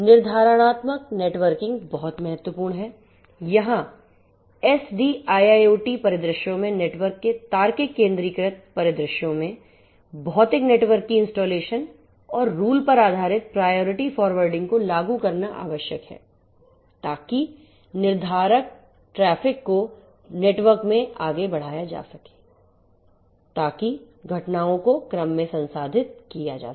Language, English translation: Hindi, Deterministic networking is very important here it is very important in SDIIoT scenarios to have the logical centralized view of the network, logical instantiation of the physical network and so on and rule based priority forwarding has to be implemented to enable deterministic forwarding of traffic over the network so that the events are processed in order